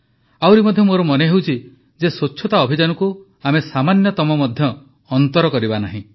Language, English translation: Odia, I also feel that we should not let the cleanliness campaign diminish even at the slightest